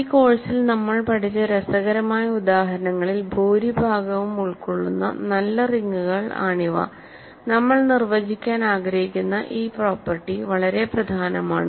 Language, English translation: Malayalam, So, these are nice rings which cover most of the interesting examples that we have studied in this course and which this property that we want to define is very important